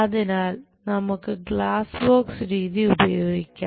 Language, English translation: Malayalam, So, let us use glass box method